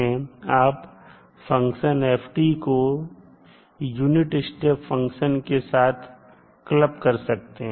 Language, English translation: Hindi, Ft you can club with the unit step function